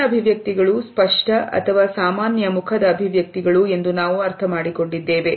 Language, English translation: Kannada, Macro expressions are what we understand to be obvious or normal facial expressions